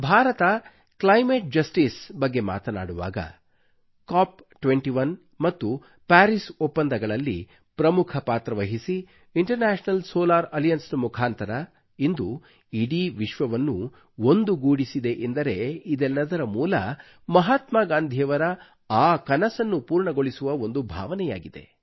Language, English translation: Kannada, Today when India speaks of climate justice or plays a major role in the Cop21 and Paris agreements or when we unite the whole world through the medium of International Solar Alliance, they all are rooted in fulfilling that very dream of Mahatma Gandhi